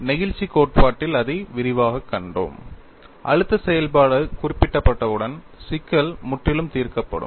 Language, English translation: Tamil, We have seen elaborately, certain theory of elasticity; once the stress function is specified, the problem is completely solved